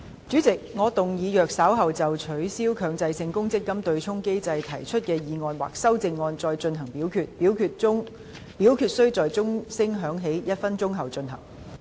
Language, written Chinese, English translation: Cantonese, 主席，我動議若稍後就"取消強制性公積金對沖機制"所提出的議案或修正案再進行點名表決，表決須在鐘聲響起1分鐘後進行。, President I move that in the event of further divisions being claimed in respect of the motion on Abolishing the Mandatory Provident Fund offsetting mechanism or any amendments thereto this Council do proceed to each of such divisions immediately after the division bell has been rung for one minute